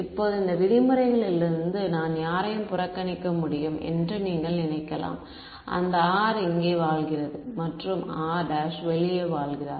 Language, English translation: Tamil, Now from these terms which can you think I can ignore anyone term from here given that r lives over here and r prime lives outside